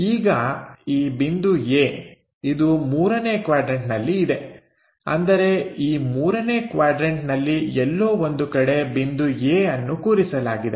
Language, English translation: Kannada, Now the point A it is in 3rd quadrant; that means, in this third quadrant somewhere point A is located